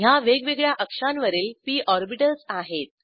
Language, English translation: Marathi, Here are p orbitals in different axes